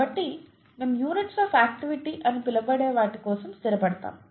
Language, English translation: Telugu, So we settle for something called units of activity